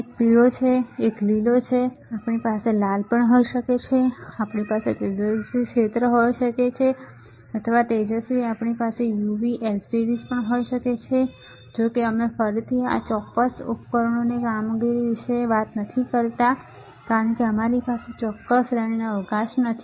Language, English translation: Gujarati, One is yellow right, one is green, we can have red, we can have bright field or bright we can also have UV, LEDS; however, we again do not do not about the functioning of this particular devices, because that is not scope of our particular series